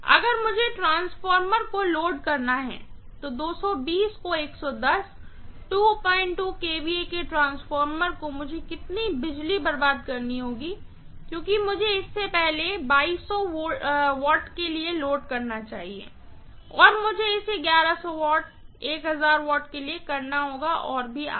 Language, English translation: Hindi, 2 kVA transformer, how much of power I would have wasted up because I should load it probably for first 2200 watts, then I have to do it for maybe 1100 watts, 1000 watts and so on and so forth